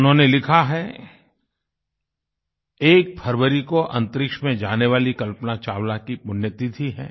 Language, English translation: Hindi, He writes, "The 1 st of February is the death anniversary of astronaut Kalpana Chawla